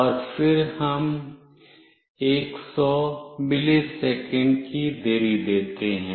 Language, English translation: Hindi, And then we give a delay of 100 millisecond